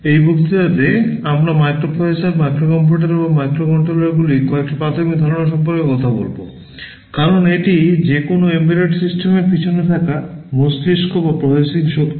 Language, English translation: Bengali, In this lecture we shall be talking about some basic concepts of microprocessors, microcomputers and microcontrollers, because these are the brain or the processing power behind any embedded system that we see around us